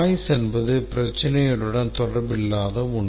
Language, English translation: Tamil, Noise is something which is unrelated to the problem